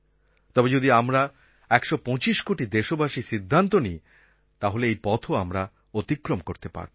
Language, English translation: Bengali, If we, 125 crore Indians, resolve, we can cover that distance